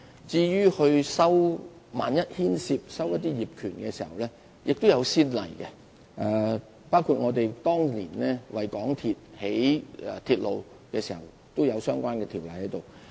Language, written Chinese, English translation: Cantonese, 至於萬一牽涉收購業權的問題，過往亦有先例，包括當年興建港鐵的鐵路時，都有相關條例處理。, In case there is a need to acquire the ownership of underground space there are also precedents which we can refer to including the relevant ordinances invoked back in those years to deal with the construction of MTR lines